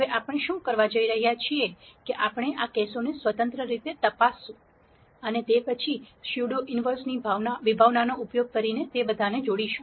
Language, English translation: Gujarati, What we are going to do, is we are going to look into these cases independently, and then combine all of them using the concept of pseudo inverse